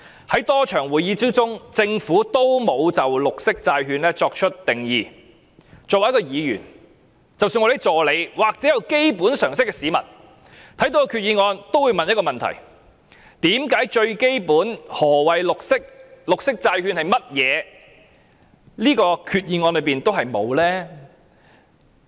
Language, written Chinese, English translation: Cantonese, 在多次會議當中，政府也沒有就綠色債券作出定義，作為一位議員，即使是我們的助理或有基本常識的市民，看到決議案也會問一個問題：為何最基本的何謂綠色、綠色債券是甚麼，在這個決議案內也沒有提及？, During quite a number of meetings the Government never gave any definition of green bond . We in the capacity as Members and even our assistants or people with common sense will ask one question when reading the Resolution Why is the most basic point of what is meant by green or green bond is not mentioned in this Resolution?